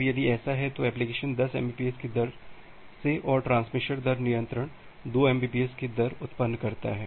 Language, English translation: Hindi, Now if this is the case, the application generates rate at 10 Mbps and the transmission rate control generates rate of 2 Mbps